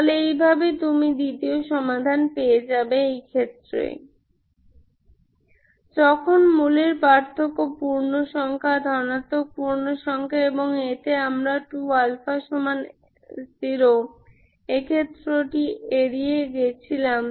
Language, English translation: Bengali, So this is how you get the second solution in the case of when the root difference is integer, positive integer and in that we avoided the case 2 alpha equal to zero